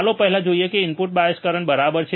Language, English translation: Gujarati, Let us see first is input bias current ok